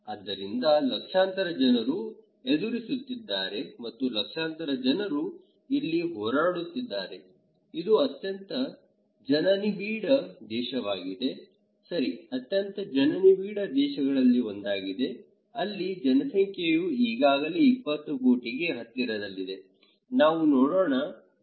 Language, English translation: Kannada, So, they are facing a very millions and millions of people are battling here, it is a very densely populated country, okay whose one of the most densely populated country, there population is already close to 20 crores so, let us look